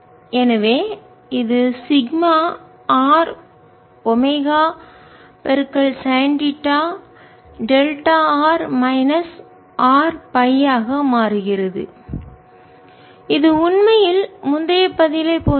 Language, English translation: Tamil, so this is becomes sigma r, omega, sin theta, delta, r minus r, phi, which is need the same answer as ear list